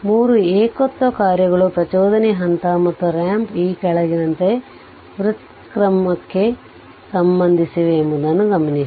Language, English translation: Kannada, Note that 3 singularity functions impulse step and ramp are related to differentiation as follows